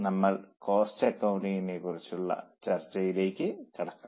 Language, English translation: Malayalam, Let us move to cost accounting now with this discussion